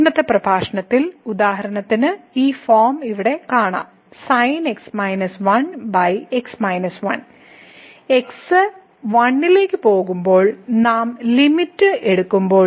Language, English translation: Malayalam, And, in today’s lecture we will see that for example, this form here minus minus when we take the limit as goes to